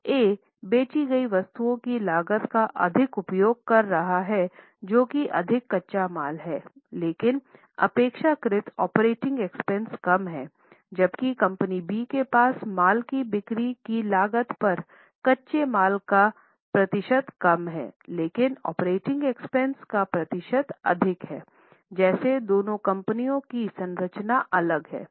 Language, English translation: Hindi, So, A is using more of cost of goods sold, that is more raw material but has relatively lesser operating expenses while B has lesser percentage on raw material on the cost of goods sold but has more percentage of operating expenses